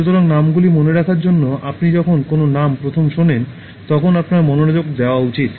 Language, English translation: Bengali, So, to remember names, you should pay attention to a name when you first hear it